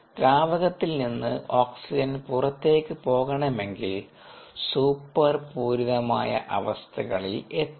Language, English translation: Malayalam, for oxygen to go out of the liquid broth you need to reach super saturated conditions